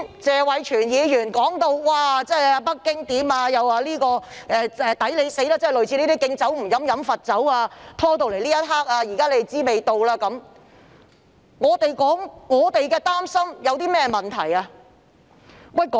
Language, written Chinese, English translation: Cantonese, 謝偉銓議員剛才提到北京政府的做法，又說"我們'抵死'"、"敬酒不喝喝罰酒"、"終於知道味道了"，我們表示擔心有何問題？, Just now Mr Tony TSE talked about the practice of the Beijing Government; and he said serve you right refuse a toast only to be forced to drink a forfeit and finally know the taste . What is wrong with expressing our worries?